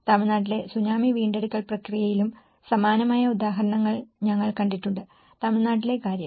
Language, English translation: Malayalam, We have also seen similar examples in the Tsunami recovery process in Tamil Nadu, the case of Tamil Nadu